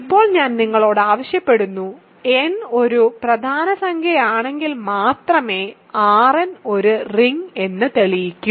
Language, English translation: Malayalam, So now, I am asking you to prove the general statement R n is a ring if and only if n is a prime number